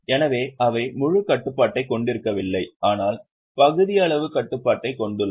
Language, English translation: Tamil, So they are also having though not full control but the partial control